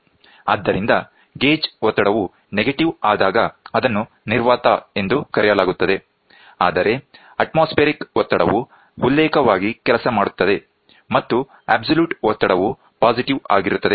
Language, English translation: Kannada, So, when the gauge pressure is negative it is called as vacuum; however, atmospheric pressure serves as a reference and absolute pressure is positive